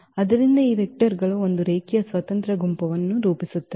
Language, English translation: Kannada, So, all these vectors are linearly independent